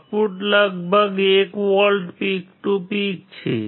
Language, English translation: Gujarati, Output is about 1 volts peak to peak